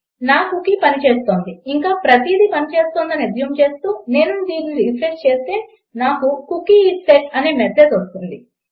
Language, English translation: Telugu, Assuming that I have set my cookie and everything is working, when I refresh this Ill get the message that the Cookie is set